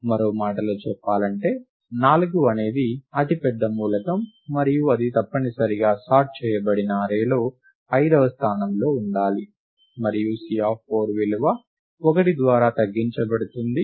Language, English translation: Telugu, In other words, 4 is the largest element and it must occur in the fifth location in the sorted array and then the value of C of 4 is reduced by 1